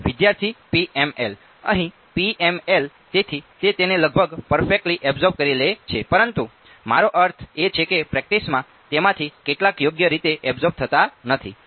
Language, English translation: Gujarati, PML over here so, its absorbing it almost perfectly, but I mean in practice some of it will not get absorbed right